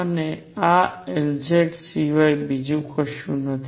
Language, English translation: Gujarati, And this is nothing but L z